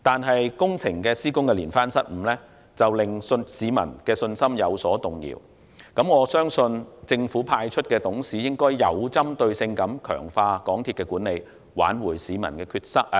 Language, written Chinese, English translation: Cantonese, 可是工程施工的連番失誤，令市民的信心有所動搖，我相信政府派出的董事須要有針對性地強化港鐵公司的管理，挽回市民的信心。, But a series of blunders in capital works have somehow shaken peoples confidence in the company . I believe that the government - appointed directors should strengthen the management of MTRCL with targeted measures so as to restore peoples confidence